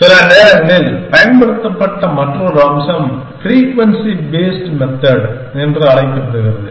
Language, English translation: Tamil, Another feature which has sometimes been used is called the frequency based method